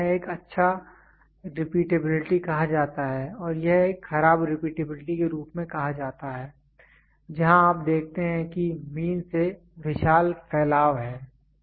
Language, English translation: Hindi, So, this one is called good repeatability and this one is called as poor repeatability where you see the huge spread from the mean is there